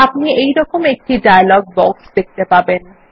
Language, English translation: Bengali, You will see a dialog box like this